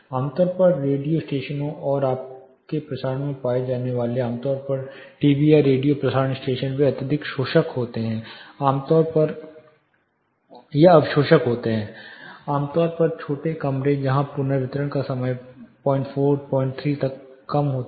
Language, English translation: Hindi, Most commonly found in radio stations and your broadcasting typically TV or radio broadcasting stations they are highly absorptive typically small rooms where reverberation time as low as 0